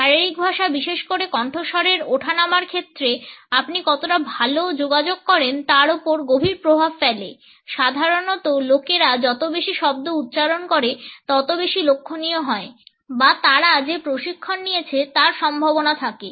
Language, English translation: Bengali, Body language in particularly voice tone have a profound effects on how well you communicate, normally as people rise up the words the more noticeable they are the more or likely they have coaching